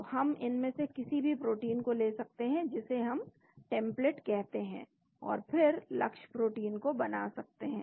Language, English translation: Hindi, So, we can take anyone of these proteins which we call it the template and then built the target protein